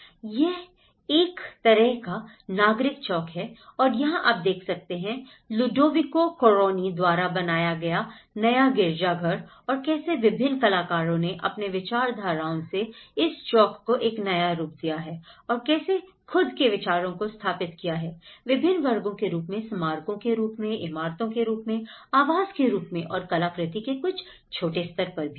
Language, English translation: Hindi, It is a kind of civic plaza and here, you can see the new cathedral by Ludovico Quaroni and like that various artists have come to install their own ideas in the form of plazas, in the form of squares, in the form of monuments, in the form of buildings, in the form of housing, also some smaller level of artwork